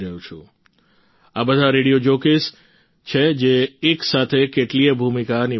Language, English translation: Gujarati, And the radio jockeys are such that they wear multiple hats simultaneously